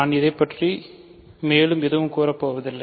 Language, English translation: Tamil, So, I will not say anything more about it